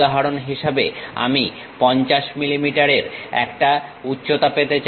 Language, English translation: Bengali, For example, I would like to have a height of 50 millimeters